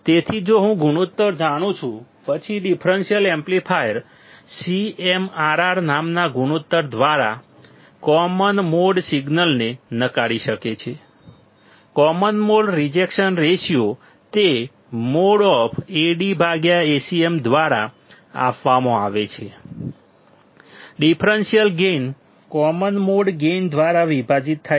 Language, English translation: Gujarati, So, if I know the ratio; then the differential amplifier can reject the common mode signal by that ratio called CMRR; Common Mode Rejection Ratio, it is given by mod of Ad by Acm; differential gain divided by common mode gain